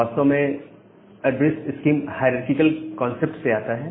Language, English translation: Hindi, So, this addressed scheme actually comes from this hierarchical concept